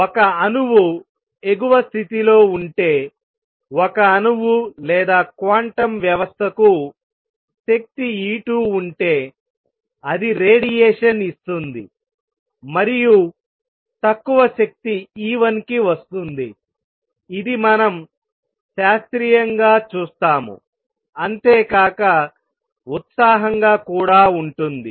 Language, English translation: Telugu, Then if an atom is in the upper state if an atom or a quantum system has energy E 2 it will give out radiation and come to lower energy E 1, this is what we see classically also something that is excited something it that has more energy gives out energy and comes to lower energy